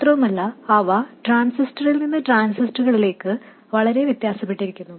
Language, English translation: Malayalam, But these quantities vary with temperature for a given transistor and also they vary from transistor to transistor